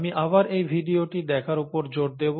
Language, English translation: Bengali, Again let me emphasize the watching of this video